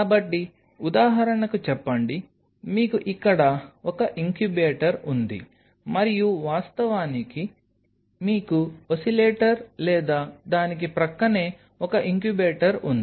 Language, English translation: Telugu, So, have say for example, you have one incubator here right and of course, so, that one incubator you have oscillator or adjacent to it